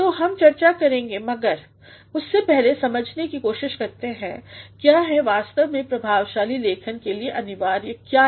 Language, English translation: Hindi, So, we shall be discussing but, before that let us try to understand what actually are the essentials of effective writing